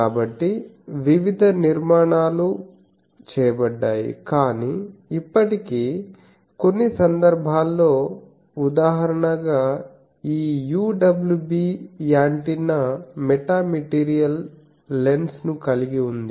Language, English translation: Telugu, So, that various structures do, but still in some cases like one example I can give that this UWB antenna with metamaterial lens